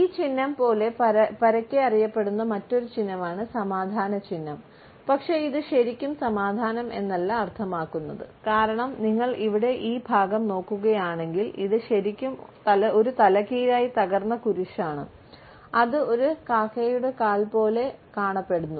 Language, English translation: Malayalam, Much like this symbol here is widely known as the peace sign, but does not really mean peace, because if you look at this part here, it is really an upside down broken cross which kind of looks like a crow’s foot